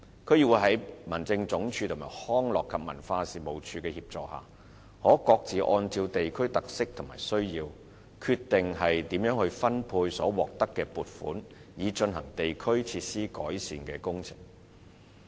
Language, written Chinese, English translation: Cantonese, 區議會在民政總署和康樂及文化事務署的協助下，可各自按照地區的特色和需要，決定如何分配所獲得的撥款，以進行地區設施的改善工程。, With the assistance of HAD and the Leisure and Cultural Services Department DCs have discretion in apportioning the funds allocated to them for carrying out improvement works of district facilities having regard to the characteristics and needs of the districts respectively